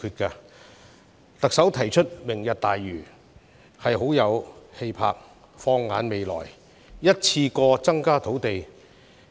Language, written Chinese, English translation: Cantonese, 特首提出"明日大嶼"，很有氣魄，能夠放眼未來，一次過增加土地供應。, Lantau Tomorrow is an ambitious and visionary plan proposed by the Chief Executive to increase land supply in one go